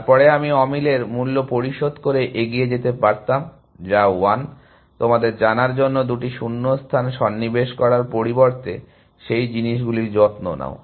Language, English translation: Bengali, Then I could get away by paying a cost of mismatch, which is 1, rather than insert two gaps to you know, take care of those things essentially